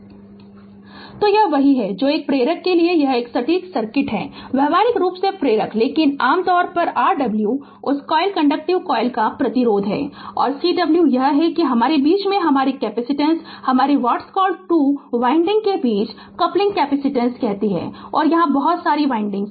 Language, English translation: Hindi, So, it is the it is that your what you call exact circuit for an inductor right; practically inductor, but generally R w is the resistance of that coil inductive coil and Cw is that your capacitance in between that your coupling capacitance between the your what you call 2 winding say so many windings are there